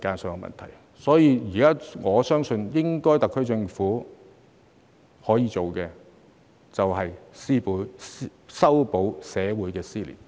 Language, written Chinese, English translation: Cantonese, 所以，我相信特區政府現在應該可以做的，便是修補社會撕裂。, Therefore I believe what the SAR Government can do right now is to mend the rift in society